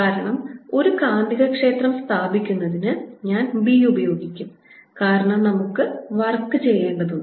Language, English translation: Malayalam, the reason is that establishing a magnetic field, a magnetic field i'll just use b for it requires us to do work